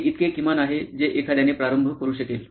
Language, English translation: Marathi, This is the bare minimum that one could start with